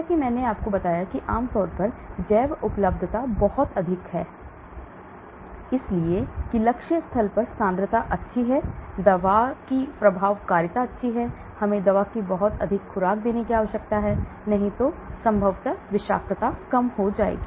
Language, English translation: Hindi, Like I said generally bioavailability has to be very high and so that the concentration at the target site is good, the efficacy of the drug is good, we do not have to give too much dose of drug so possibly toxicity also can be lower